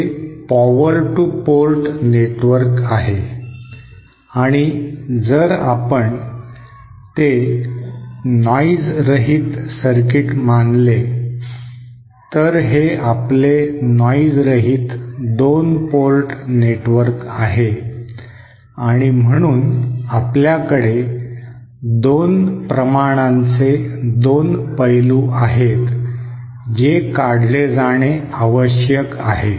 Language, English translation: Marathi, This is power two port network and if we consider it to be a noise less circuit, so this is our noise less two port network and so what we have is two aspects of two quantities which have to be extracted